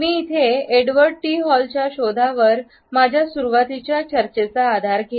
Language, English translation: Marathi, I would base my initial discussions over this concept on the findings of Edward T Hall